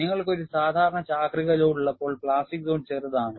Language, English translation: Malayalam, When you have a normal cyclical load, the plastic zone is smaller